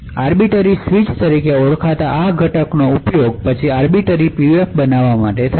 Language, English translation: Gujarati, So this primitive component called the arbiter switch is then used to build an Arbiter PUF